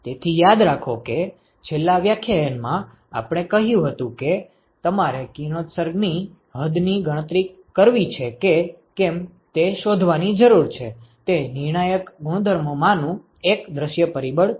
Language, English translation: Gujarati, So, remember that in last lecture, we said that one of the crucial properties that you need to find out if you want to calculate the radiation extent is the view factor